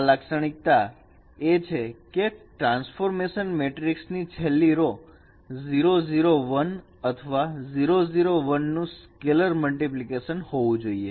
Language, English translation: Gujarati, The characterization is that the last row of the transformation matrix should be 0 0 1 or a scalar multiplication of 0 01 row vector